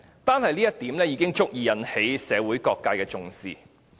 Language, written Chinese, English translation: Cantonese, 單是這一點，西九文化區已足以受到社會各界的重視。, This reason alone explains why WKCD is taken seriously by the community